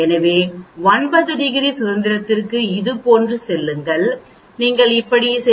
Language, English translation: Tamil, So for 9 degrees of freedom go like this, you go like this and read out 0